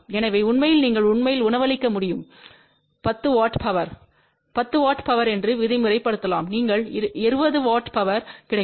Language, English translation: Tamil, So in fact you can actually feed let us say a 10 watt of power 10 watt of power you will get 20 watt of power